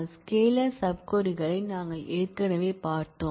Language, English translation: Tamil, We have seen scalar sub queries already